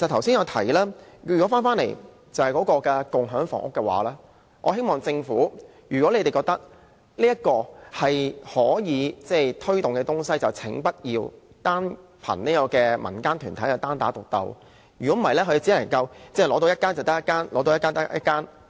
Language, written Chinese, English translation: Cantonese, 至於我剛才提到的共享房屋計劃，如果政府覺得這是可以推動的項目，我希望不要單靠民間團體"單打獨鬥"，否則它們只能取得一個單位便算一個。, As regards the Community Housing Scheme I have just mentioned if the Government thinks it is a project worth promotion I hope it would not rely on NGOs to accomplish the task on their own . Otherwise they can only obtain one flat as it comes